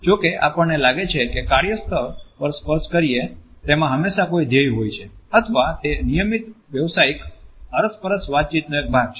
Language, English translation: Gujarati, However, we find that in the workplace touch is always related to a goal or it is a part of a routine professional interaction